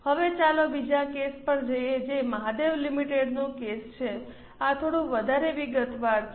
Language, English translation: Gujarati, Now let us go to another case that is a case of Mahadev Limited